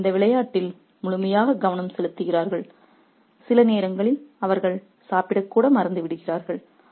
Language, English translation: Tamil, And they are focused so entirely on this game that sometimes they even forget to eat